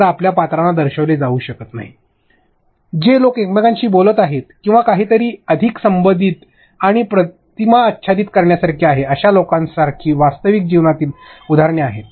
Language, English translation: Marathi, Have real life examples like people who are speaking to each other or doing something that is much more relatable and also overlapping images